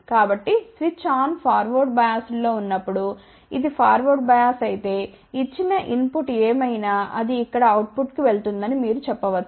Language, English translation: Telugu, So, when switch is on forward biased over here, you can say that if it is forward bias whatever is the input given it will go to the output here